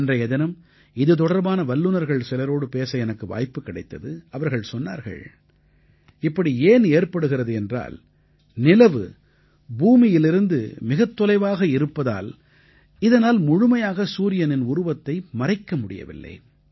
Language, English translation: Tamil, On that day, I had the opportunity to talk to some experts in this field…and they told me, that this is caused due to the fact that the moon is located far away from the earth and hence, it is unable to completely cover the sun